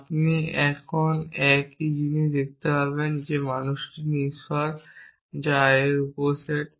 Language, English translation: Bengali, You can see the same thing as saying that man is the subset of mortal i